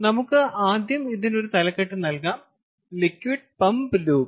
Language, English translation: Malayalam, ok, so lets call it first, give it a heading: liquid pumped loop